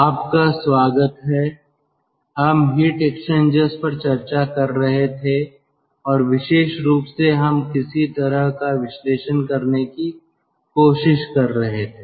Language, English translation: Hindi, we were discussing um heat exchangers and particularly we were trying to do some sort of analysis